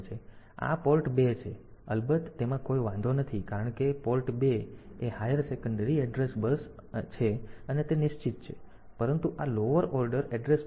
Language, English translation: Gujarati, So, this is port 2 is of course, no problem because port 2 is the higher order address bus and that is fixed, but this lower order address bus